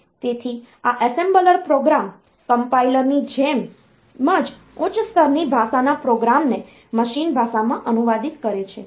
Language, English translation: Gujarati, So, compiler they translate a high level language program to machine language